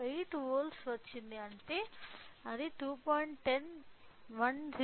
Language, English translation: Telugu, 8 volt which means that it is corresponding to 28